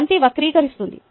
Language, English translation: Telugu, the ball distorts